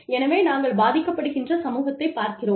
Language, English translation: Tamil, So, we look at the community, that is being affected